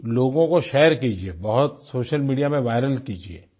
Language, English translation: Hindi, Share it with people, make it viral on social media